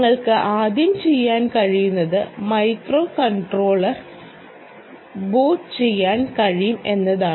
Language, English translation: Malayalam, first thing you can do is you can boot the microcontroller